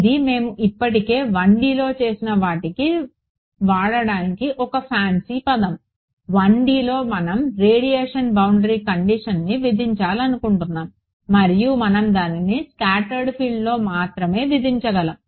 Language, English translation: Telugu, This is just a fancy way of writing what we have already done in 1D; in 1D we had a term we wanted to impose a radiation boundary condition we wrote we and we could only impose it on the scattered field